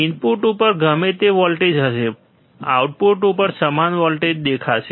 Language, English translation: Gujarati, Whatever voltage will be at the input, same voltage will appear at the output